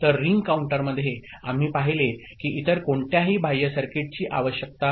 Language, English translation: Marathi, So, in ring counter, we saw that no other external circuit is required